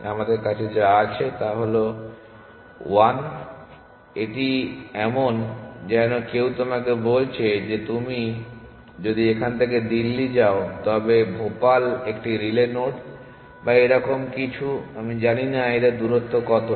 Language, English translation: Bengali, All we have is 1, it is like somebody tells you that if you are going from here to Delhi, then Bhopal is a relay node or something like that I do not know what distance is